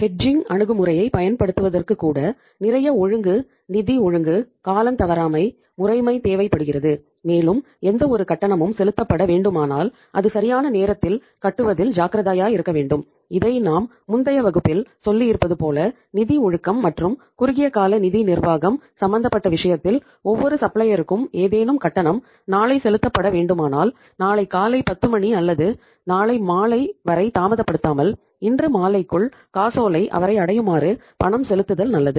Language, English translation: Tamil, Even using the hedging approach is also requiring a lot of disciple, financial discipline, punctuality, regularity and they have to be very very careful that any payment when becoming due to be made that should be uh made on time as I have told you in some uh say previous classes that financial discipline as well as the short term funds management is concerned uh is concerned demands that if any payment is due to be made to any supplier maybe tomorrow uh say till 10 o’clock or 10 am the cheque should reach him it is better to send the payment by today evening rather than delaying it by tomorrow tomorrow evening